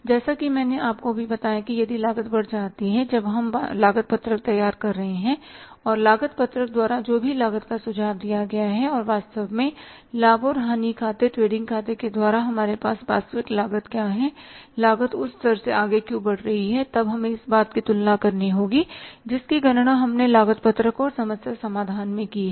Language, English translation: Hindi, Say as I just told you that if the cost increases when we are preparing the cost sheet and whatever the cost is suggested by the cost sheet and what is the actual cost available with this from the profit and loss account, trading account actually then we will have to make a comparison that why the cost is going beyond the level where which we have calculated in the cost sheet and problem solving